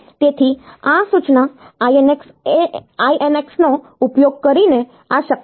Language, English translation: Gujarati, So, this is possible by do using this instruction INX